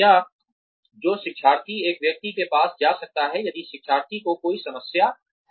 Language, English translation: Hindi, Or a person, who the learner can go to if the learner has any problems